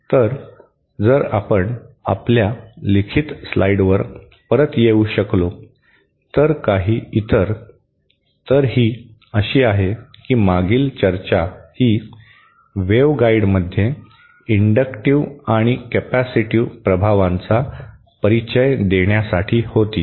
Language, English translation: Marathi, So, if we can come back to our written slide, so some of the others, so this is like that the previous this discussion was for introducing inductive and capacitive effects in waveguide